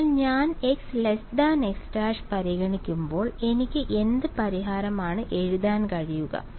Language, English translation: Malayalam, So, when I consider x not x is less than x prime what kind of solution can I write